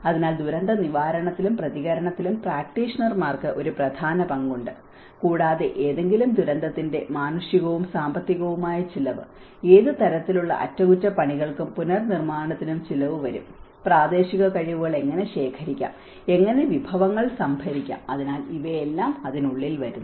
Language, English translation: Malayalam, So, practitioners have a key role in disaster preparedness and response, and it also has to outlay the human and financial cost of any catastrophe and what kind of repair and the reconstruction is going to cost and how to procure the local skills, how to procure the resources, so all these things fall within there